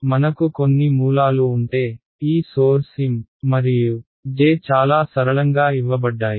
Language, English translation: Telugu, So, let us say we have some sources, and these sources are given by M and J really simple